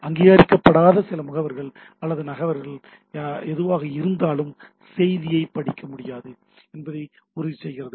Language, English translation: Tamil, And ensures that the message cannot be read by unauthorized some agent or person or whatever, that is the privacy or confidentiality is maintained